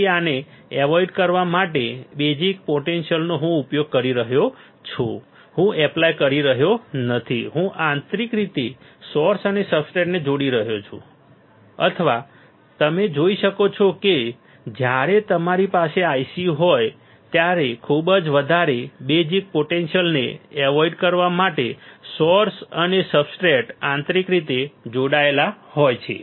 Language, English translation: Gujarati, So, many bias potentials I am using I am not applying I am internally connecting the source and substrate all right or you can see that when you have I c, the source and substrates are internally connected to avoid too many bias potential